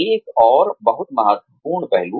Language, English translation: Hindi, Another very important aspect